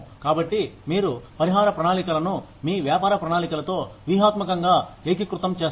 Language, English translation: Telugu, So, this is how, you strategically integrate the compensation plans, with your business plans